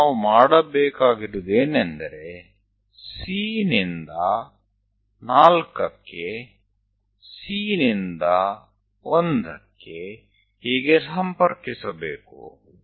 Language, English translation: Kannada, Now, what we have to do is from C to 4, C to 1, and so on